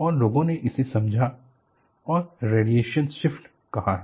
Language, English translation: Hindi, And people have understood and call it as a radiation shift